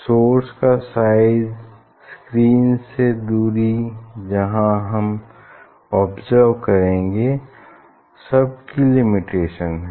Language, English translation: Hindi, Size of the sources, distance of the screen where we will observe; there is a limitation